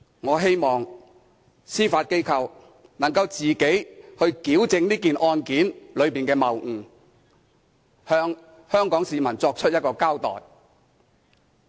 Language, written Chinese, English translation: Cantonese, 我希望司法機構能夠自行矯正這宗案件的謬誤，向香港市民作出一個交代。, I hope that the Judiciary can correct the fallacies of this case by itself and give an explanation to the people of Hong Kong